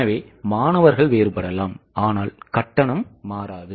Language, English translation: Tamil, That number may vary, but the fee will not change